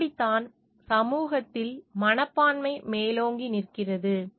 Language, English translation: Tamil, That is how the attitudes are predominanting in the society